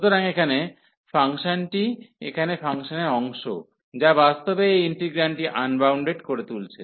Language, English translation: Bengali, So, this is the function here the part of the function, which is actually making this integrand unbounded